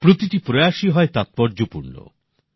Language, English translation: Bengali, Every effort is important